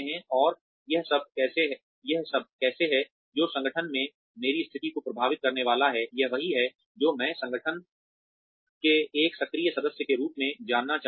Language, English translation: Hindi, And, how is all this, that is going to, affect my position in the organization, is what, I would like to know, as an active member of the organization